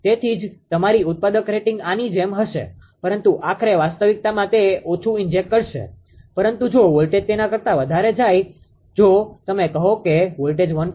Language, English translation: Gujarati, So, that is why that is why if ah your manufacturer rating will be like this, but ultimately in reality it will inject less, but if voltage goes more than that if you say voltage goes 1